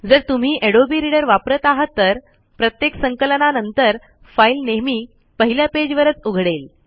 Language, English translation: Marathi, IF you use adobe reader, after every compilation, the file always opens in the first page